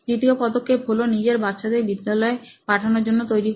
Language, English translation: Bengali, The second step that, she did was to get her kids ready for school as well